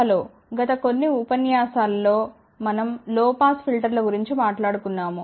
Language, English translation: Telugu, Hello, in the last few lectures we have been talking about low pass filters